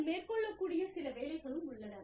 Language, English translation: Tamil, Some jobs, that you can undertake